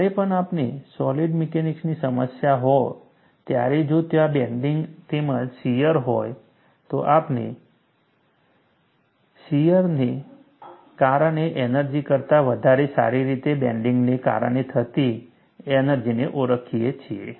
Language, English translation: Gujarati, Whenever we have a solid mechanics problem, if there is a bending as well as shear, we would recognize the energy due to bending better than the energy due to shear